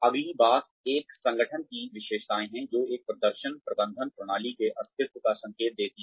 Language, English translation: Hindi, The next thing is the characteristics of an organization, that indicate the existence of a performance management system